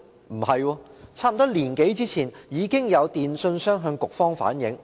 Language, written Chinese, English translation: Cantonese, 不是，差不多一年多前，已經有電訊商向局方反映。, It was already reflected to OFCA by some telecommunications service providers a year or so ago